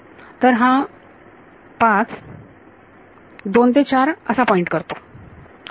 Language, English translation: Marathi, So, 5 is pointing from 2 to 4 ok